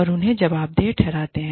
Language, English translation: Hindi, And, we hold them, accountable